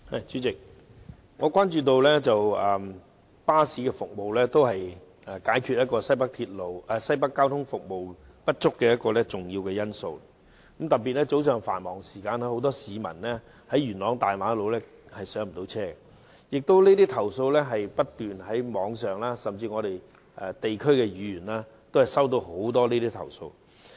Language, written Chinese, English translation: Cantonese, 主席，我關注到巴士服務也是解決新界西北交通服務不足的一個重要方法，特別是早上繁忙時間，很多市民在元朗大馬路不能上車，而這些投訴在網上常見，甚至區議員都不斷收到有關的投訴。, President I notice that bus service is also an important solution to the problem of insufficient transport services in NWNT especially during peak hours in the morning when many people are unable to board buses on Castle Peak Road . Such complaints are frequent on the Internet and even District Council members have received related complaints